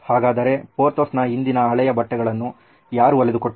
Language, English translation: Kannada, However, I wonder who stitched those previous old clothes of Porthos